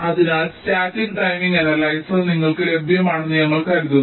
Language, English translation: Malayalam, so static timing analyzer is available to you